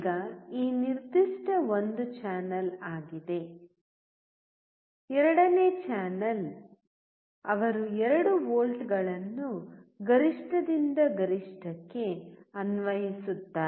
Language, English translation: Kannada, Now, this particular is one channel; second channel he will apply 2 volts peak to peak